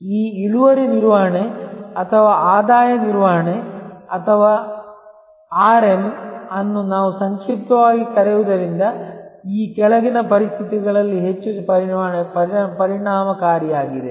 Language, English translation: Kannada, This yield management or revenue management or RM as we call it in short is most effective in the following conditions